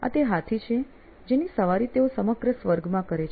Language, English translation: Gujarati, This is the elephant that he rides all across the heavens